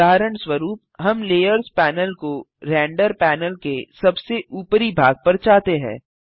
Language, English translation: Hindi, The layers panel moves to the top of the render panel